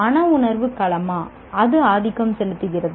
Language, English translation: Tamil, Is the cognitive domain dominant